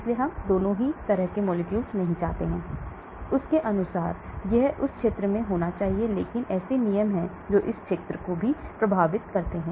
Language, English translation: Hindi, So both we do not want, so according to them it should be in this region, but there are rules which narrows this region also